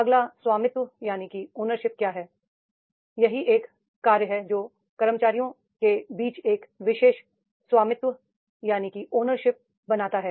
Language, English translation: Hindi, Next is the ownership that is the does the particular job creates an ownership amongst the employees